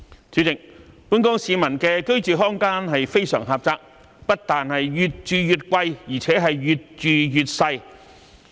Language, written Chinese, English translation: Cantonese, 主席，本港市民的居住空間非常狹窄，不但越住越貴，而且越住越細。, President the living space of Hong Kong people is very small . Not only are we paying more for the housing but the living space is getting smaller and smaller